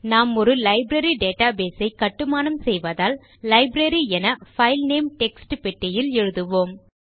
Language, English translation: Tamil, Since we are building a Library database, we will type Library in the File Name text box